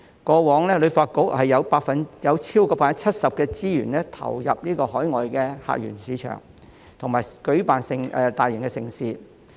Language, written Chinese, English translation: Cantonese, 過往，旅發局超過 70% 的資源都是投入到海外客源市場和舉辦大型盛事。, In the past more than 70 % of HKTBs resources were devoted to overseas source markets and the organization of mega events